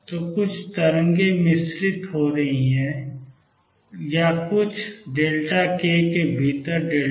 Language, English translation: Hindi, So, there are some waves being mixed, this is delta k within some delta k